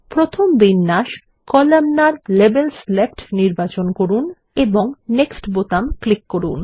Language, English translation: Bengali, Let us choose the first arrangement Columnar – Labels Left and click on the Next button